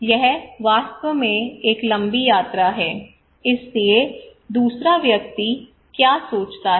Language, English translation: Hindi, It is really a long journey, so the second person what he would think